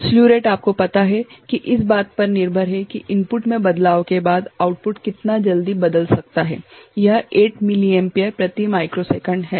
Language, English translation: Hindi, Slew rate is at how quickly it can change the output can change based on you know following a change in the input, it is 8 milliampere per microsecond